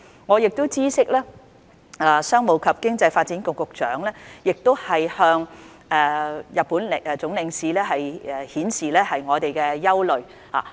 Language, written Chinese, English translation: Cantonese, 我亦知悉，商務及經濟發展局局長已向日本駐港總領事表達我們的憂慮。, I am also aware that the Secretary for Commerce and Economic Development has expressed our concerns to the Consul - General of Japan in Hong Kong